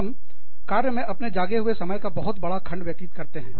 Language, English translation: Hindi, We spend, a very large chunk of our waking time, at work